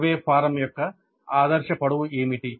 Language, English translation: Telugu, What should be the ideal length of a survey form